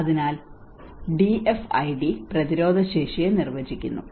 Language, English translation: Malayalam, So DFID defines resilience